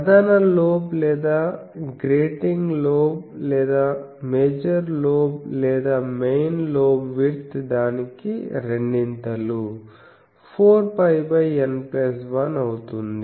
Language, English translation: Telugu, And the major lobe or the grating lobe both major lobe or main lobe and grating lobe major lobe as well as grating lobe width is double of that is 4 pi by N plus 1